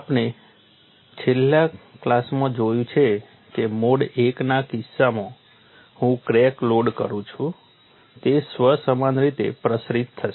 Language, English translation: Gujarati, We have looked at in the last class that in the case of a mode one loading, the crack will propagate in a self similar manner